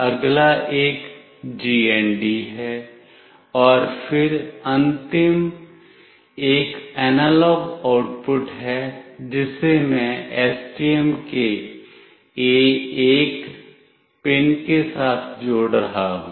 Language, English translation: Hindi, The next one is GND, and then the last one is the analog output that I will be connecting with the A1 pin of STM